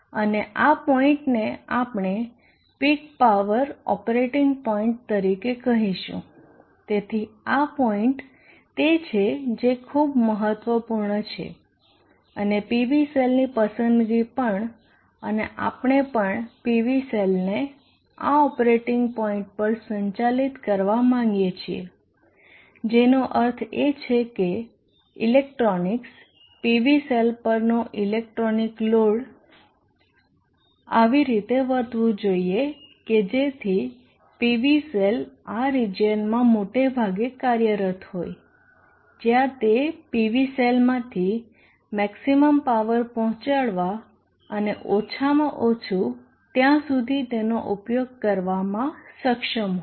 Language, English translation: Gujarati, And this point we shall call as the peak power operating point, so this is the point that is very important and the choice and selection of the PV scene to and we would like also to operate the PV cells at this operating point which means even the electronics the electronic load to the PV cell should behave in such a manner that the PV cell is most of the time operating in this region where it is capable of delivering the max power from the PV cell and thereby utilizing it to the so least